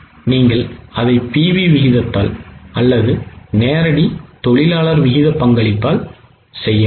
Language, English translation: Tamil, You can either do it by PV ratio or by contribution to direct labor ratio